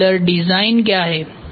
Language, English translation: Hindi, What is modular design